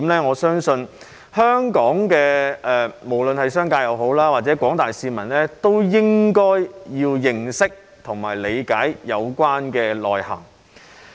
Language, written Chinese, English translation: Cantonese, 我相信無論是本港的商家或廣大市民，都應該要認識及理解相關重點的內涵。, I believe that both local businessmen and the general public should be aware of and understand the implications of the relevant focal points